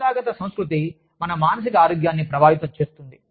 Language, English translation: Telugu, Organizational culture, affects our emotional health